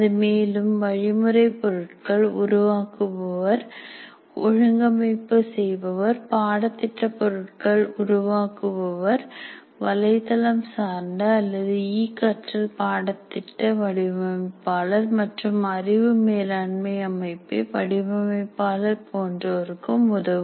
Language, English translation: Tamil, Whereas it can also be useful for producers of instructional materials, how to organize that, curriculum material developers, web based or e learning course designers, knowledge management system designers